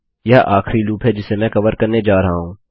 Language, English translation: Hindi, This is the last loop Im going to cover